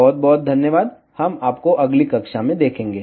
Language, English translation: Hindi, So, thank you very much, we will see you in the next class